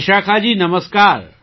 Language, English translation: Gujarati, Vishakha ji, Namaskar